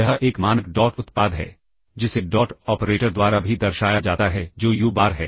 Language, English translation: Hindi, This is a standard dot product which is also denoted by the dot operator that is uBar dot vBar ok